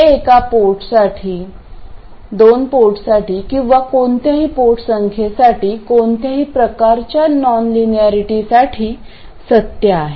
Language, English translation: Marathi, This is true for one port two port or any number of ports, any kind of non linearity